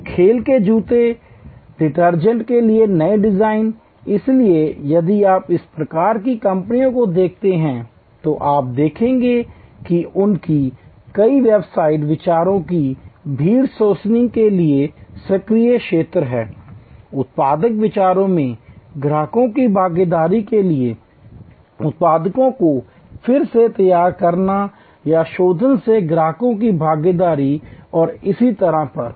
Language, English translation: Hindi, So, new design for sports shoes, detergents, so if you see these types of companies you will see many of their websites have active areas for crowd sourcing of ideas, for customers involvement in product ideas, customers involvement in product redesign or refinement and so on